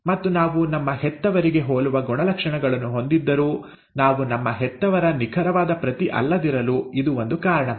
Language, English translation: Kannada, And this is one of the reasons why, though we have characters which are similar to our parents, we are still not an exact carbon copy of our parents